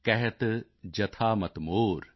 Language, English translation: Punjabi, Kahat jathaa mati mor